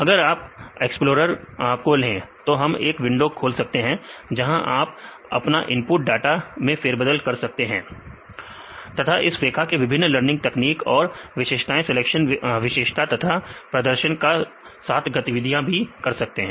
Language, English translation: Hindi, So, if you go with the explorer then we can open a window; there you can manipulate your data give the input data and you can play around this weka with the different machine learning techniques; as well as your features, feature selection and the performance